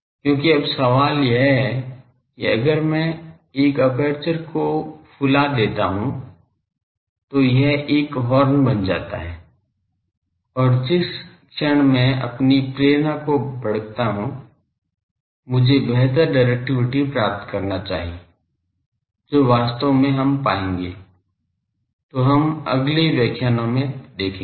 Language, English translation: Hindi, Because now, the question is if I flared the aperture that becomes a horn and the moment I flare my motivation is, I should get better directivity, which actually we will get, by flaring; So, that we will see in the next lectures